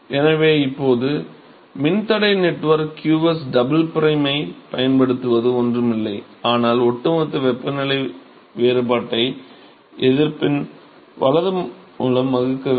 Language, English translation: Tamil, So, now, using the resistance network qsdouble prime is nothing, but the overall temperature difference divided by the resistance right